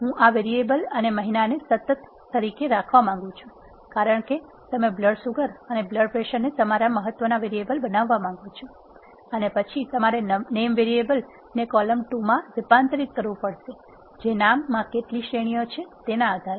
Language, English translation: Gujarati, I want to have this variable and month as constant, because you want blood sugar and blood pressure to be your variables of importance and then, you have to convert the name variable into 2 columns are, how many of a columns depending upon the number of categories in the name